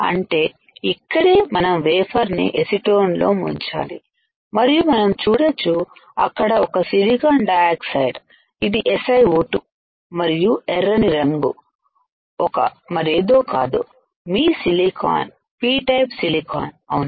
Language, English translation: Telugu, So, this is where we dip the wafer in acetone, and we can see there is only silicon dioxide this is SiO 2 and the red colour is nothing, but your silicon P type silicon right